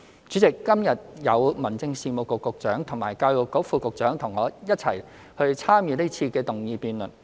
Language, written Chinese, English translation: Cantonese, 主席，今日有民政事務局局長及教育局副局長與我一起參與這次的議案辯論。, President today the Secretary for Home Affairs and the Under Secretary for Education are with me in this motion debate